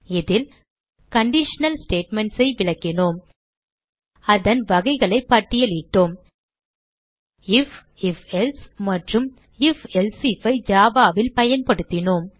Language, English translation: Tamil, In this tutorial, We have Explained conditional statements * Listed the types of conditional statements * Used conditional statements: if, if...else and if...else if in Java programs